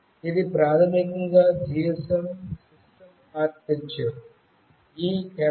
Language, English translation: Telugu, This is basically the GSM system architecture